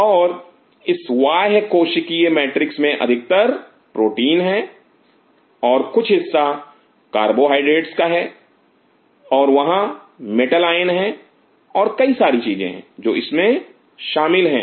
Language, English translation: Hindi, And this extra cellular matrix is mostly proteins and part of carbohydrates and there are metal ions and several things which are involved in it